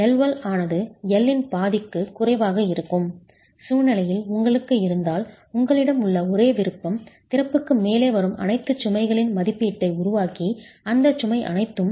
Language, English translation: Tamil, In case you have a situation where L1 is less than half of L, the only option that you have is make an estimate of all the load that is coming right above the opening, the load that actually is above the opening and design the lintel for all that load